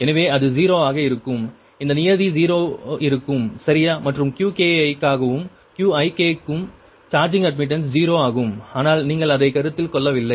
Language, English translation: Tamil, this term, ah will be zero, right, and qki also for qik, also for qik, also charging admittances, zero, but you have not considered that right